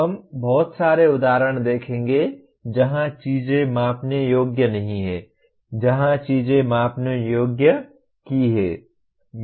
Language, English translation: Hindi, We will see plenty of examples where things are not measurable, where things are measurable